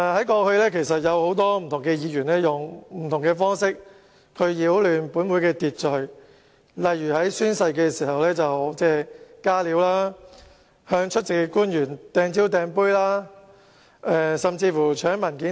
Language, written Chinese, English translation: Cantonese, 過去，很多議員用不同方式擾亂立法會的秩序，例如在宣誓時"加料"、向出席官員擲蕉、擲杯甚至搶文件等。, In the past many Members disrupted order in the Legislative Council in different ways such as adding extra materials during oath - taking hurling bananas at the attending public officers throwing a glass and even snatching papers